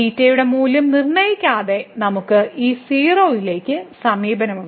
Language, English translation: Malayalam, So, without fixing the value of the theta, we have approach to this 0